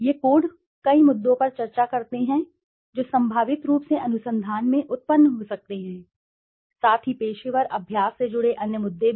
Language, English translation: Hindi, These codes discuss many issues that potentially might arise in the research, as well as other issues associated with professional practice